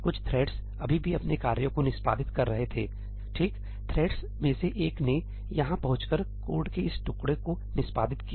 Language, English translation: Hindi, Some of the threads were still executing their tasks, right; one of the threads reached over here and executed this piece of code